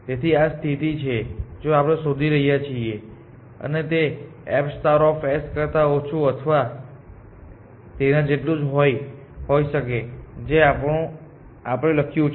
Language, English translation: Gujarati, So, this is the condition that we are looking for; and this is less than or equal to this f star of s that is what we have written